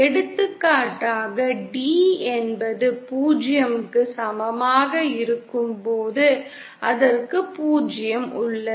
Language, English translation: Tamil, For example, when d is equal to 0, it has a 0